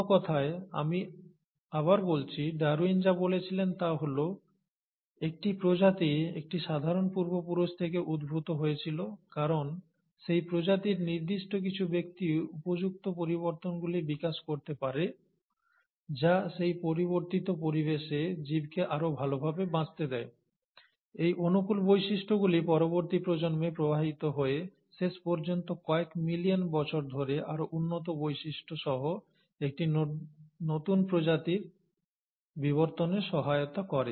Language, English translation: Bengali, So, in other words, let me reiterate, what Darwin said was that a species arises from a common ancestors because certain individuals in that species would have developed modifications which are favourable, which allow that organism to survive better in the changing environment, and these favourable traits get passed on to subsequent generations, allowing eventually, over a time scale of a few million years for evolution of a newer species with better characteristics